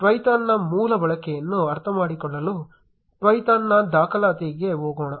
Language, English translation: Kannada, Let us go to Twython’s documentation to understand the basic usage of Twython